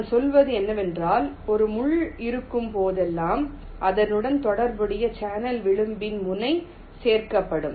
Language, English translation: Tamil, what i am saying is that whenever there is a pin, there will be ah vertex added in the corresponding channel edge